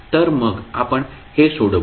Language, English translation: Marathi, So, we will use the same